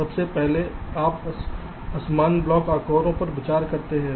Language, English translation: Hindi, firstly, you can consider unequal block sizes